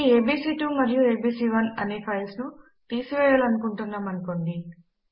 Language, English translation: Telugu, Suppose we want to remove this files abc1 and abc2